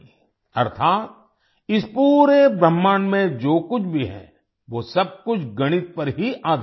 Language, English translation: Hindi, That is, whatever is there in this entire universe, everything is based on mathematics